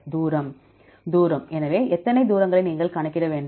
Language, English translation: Tamil, Distance; So how many distances you have to calculate